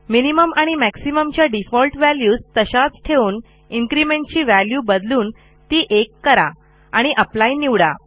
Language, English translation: Marathi, We will leave the minimum and maximum default value and change the increment to 1